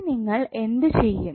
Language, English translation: Malayalam, So what you will do